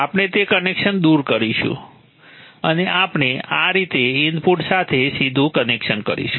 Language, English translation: Gujarati, We will remove that connection and we will make a direct connection to the input like this